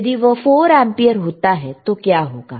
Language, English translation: Hindi, If it is 4 ampere, what will happen